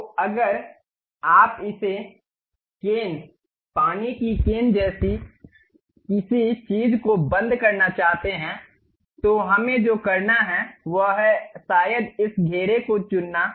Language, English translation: Hindi, So, if you want to really close this one something like a cane, water cane kind of thing, what we have to do is perhaps pick this circle